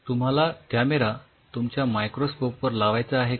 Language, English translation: Marathi, Do you want a camera on top of your microscope